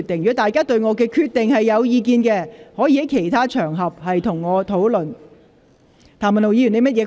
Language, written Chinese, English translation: Cantonese, 議員如對我的決定有意見，可在其他場合與我討論。, If Members have any views on my decision you can discuss with me on other occasions